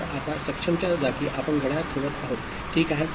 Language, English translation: Marathi, So, in place of now enable we are putting the clock, ok